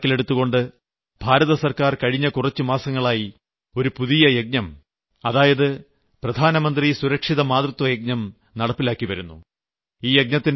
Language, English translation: Malayalam, Keeping in view these issues, in the last few months, the Government of India has launched a new campaign 'Prime Minister Safe Motherhood Campaign'